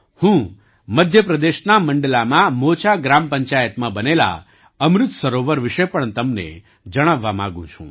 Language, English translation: Gujarati, I also want to tell you about the Amrit Sarovar built in Mocha Gram Panchayat in Mandla, Madhya Pradesh